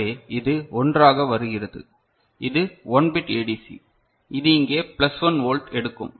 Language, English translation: Tamil, So, this is coming as 1 so, this is 1 bit DAC so this is 1 bit DAC; so it will take because it is 1, it will take plus 1 volt here